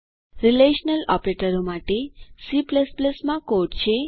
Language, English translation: Gujarati, Here is the code for relational operators in C++